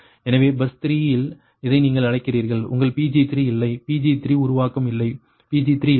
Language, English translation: Tamil, so at bus three, your what you call this one, that your ah pg three, there is no pg three generation, right